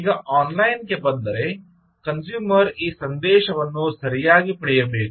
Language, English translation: Kannada, now, if he comes online, the consumer should get this message right